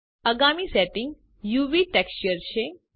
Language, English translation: Gujarati, Next setting is UV texture